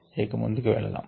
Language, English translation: Telugu, let us move forward now